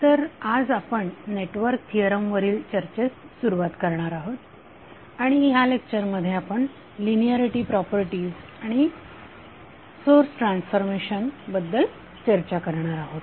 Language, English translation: Marathi, So today we will start the discussion on network theorem, and in this particular lecture we will discuss about the linearity properties and the source transformation